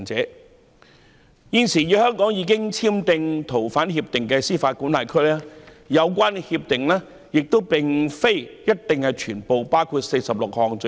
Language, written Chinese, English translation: Cantonese, 就現時已經與香港簽訂逃犯協定的司法管轄區，有關協定不一定包括46項罪類。, In jurisdictions that have already signed surrender of fugitive offenders agreements with Hong Kong the agreements may not necessarily include 46 items of offences